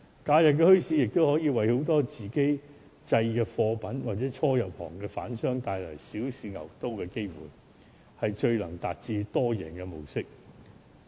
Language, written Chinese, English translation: Cantonese, 假日墟市亦可以為很多售賣自家製貨品的市民，或者初入行的販商帶來小試牛刀的機會，是最能達致多贏的模式。, Holiday bazaars can also provide chances for people to sell self - made products or for new traders to try out their business ideas on a small scale first . This model is most likely to achieve an all - win situation